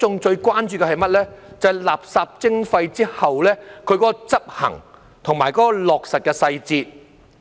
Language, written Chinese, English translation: Cantonese, 就是實施垃圾徵費後的執行及落實細節。, They are the implementation and enforcement details upon the introduction of waste charging